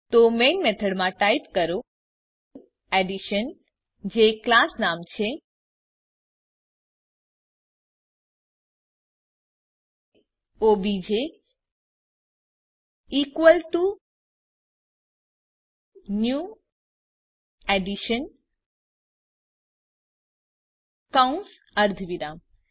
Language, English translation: Gujarati, So in the Main method type Addition i.e the class name obj is equalto new Addition parentheses semicolon